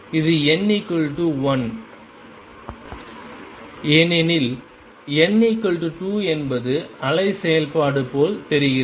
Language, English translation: Tamil, This is n equal to 1, for n equal to 2 is wave function looks like this